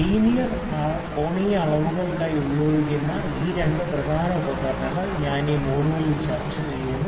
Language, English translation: Malayalam, These two major equipments for linear angular measurements, I am discussing in this module